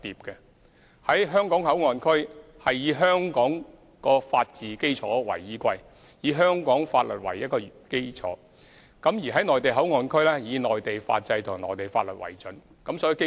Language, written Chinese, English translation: Cantonese, 在"香港口岸區"會以香港法治基礎為依歸，以香港法律為基礎，在"內地口岸區"則主要以內地法制和內地法律為準。, The laws of Hong Kong will be applied in the Hong Kong Port Area on the basis of Hong Kongs system of rule of law while the legal system and laws of the Mainland will principally be applied in the Mainland Port Area